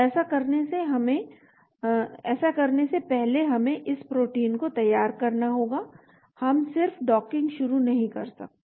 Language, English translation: Hindi, Before doing that we need to prepare this protein, we cannot just start docking